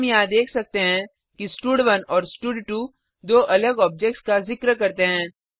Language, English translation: Hindi, We can see that here stud1 and stud2 refers to two different objects